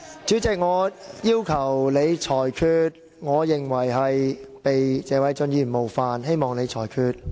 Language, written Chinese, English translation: Cantonese, 主席，我要求你作出裁決，我認為被謝偉俊議員冒犯了，請你裁決。, President I request your ruling . I consider myself having been offended by Mr Paul TSE . Please make a ruling